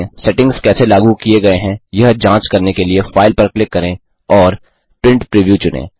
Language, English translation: Hindi, To check how the settings have been applied, click File and select Print Preview